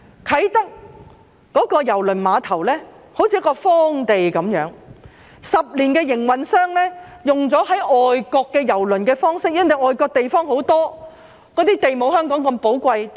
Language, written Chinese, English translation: Cantonese, 啟德郵輪碼頭好像一塊荒地，營運商10年來都是運用外國郵輪碼頭的方式，但外國地方大，土地沒有香港那麼寶貴。, The Kai Tak Cruise Terminal is like a piece of wasteland . In the past 10 years the operator has been using the approach of running a cruise terminal in foreign countries . However there is abundant land in foreign countries and land is not as precious as that in Hong Kong